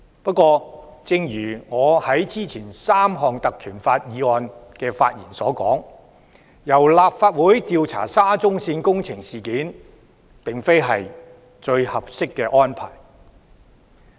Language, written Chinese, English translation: Cantonese, 不過，正如我之前就3項根據《條例》動議的議案發言時所說，由立法會調查沙中線事件並非最合適的安排。, However as I said in my speeches on the three motions moved in accordance with PP Ordinance previously the Legislative Council is not the most appropriate body to investigate the SCL incident